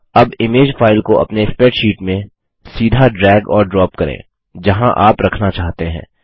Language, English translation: Hindi, Now drag and drop the image file directly into your spreadsheet wherever you want to place it